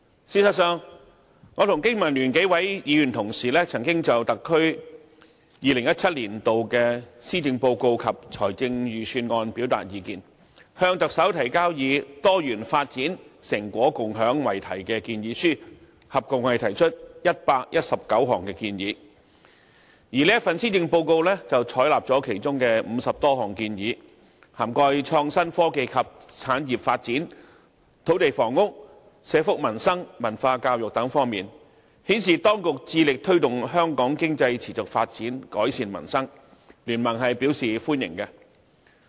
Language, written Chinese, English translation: Cantonese, 事實上，我和經民聯幾位議員同事曾經就特區2017年度的施政報告及財政預算案表達意見，向特首提交以"多元發展、成果共享"為題的建議書，合共提出119項建議，而這份施政報告採納了其中50多項建議，涵蓋創新科技及產業發展、土地房屋、社福民生、文化教育等方面的建議，顯示當局致力推動香港經濟持續發展，改善民生，經民聯是表示歡迎的。, Actually the several Legislative Members belonging to the Business and Professionals Alliance for Hong Kong BPA including me once put forward our views on the 2017 Policy Address and Budget of the SAR to the Chief Executive in a submission with 119 proposals entitled Diversified development and sharing the fruits of achievements . Of these proposals over 50 have been taken on board and included in the Policy Address covering such areas as innovation and technology industrial development land and housing social welfare and peoples livelihood culture and education and so on . This shows that the Government is committed to promoting the sustained economic development of Hong Kong and improving peoples livelihood